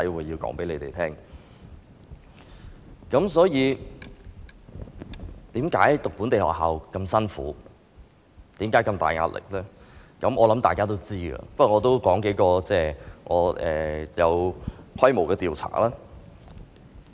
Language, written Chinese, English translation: Cantonese, 我想大家知道為何讀本地學校那麼辛苦，有那麼大壓力，但我也想提及數個有規模的調查。, While I think Members know why students of local schools face such hardships and heavy pressure I would also like to refer to a number of large - scale surveys